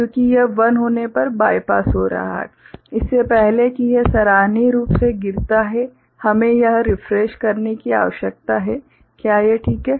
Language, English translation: Hindi, Because it is getting bypassed when this is 1 so, before it appreciably falls, we need to do this refreshing, is it all right